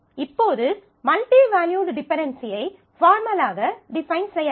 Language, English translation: Tamil, So now, let us define multivalued dependency in a formal way and